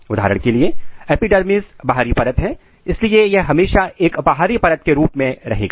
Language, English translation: Hindi, For example, epidermis is the outer layer, so it will always remain as a outer layer